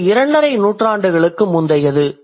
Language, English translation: Tamil, It goes back to something like two and a half centuries